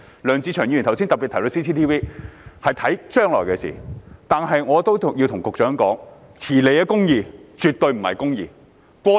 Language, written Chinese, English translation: Cantonese, 梁志祥議員剛才特別提到 CCTV， 是考慮將來的事情，但我亦要告訴局長，遲來的公義，絕對不是公義。, By mentioning CCTV cameras specifically a moment ago Mr LEUNG Che - cheung was considering something in the future . But I also wish to tell the Secretary justice delayed is not justice definitely